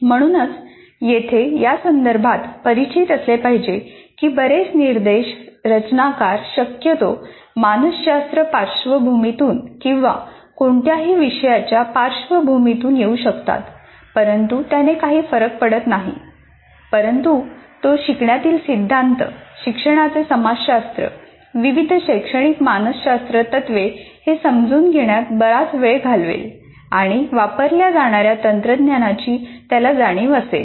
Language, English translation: Marathi, Instructional designer possibly can come from psychology background or from any subject background doesn't matter, but he would spend a lot of time in understanding the learning theories, what he you call sociology of learning or various what do you call educational psychology principles and then the bit of awareness of the technologies that are used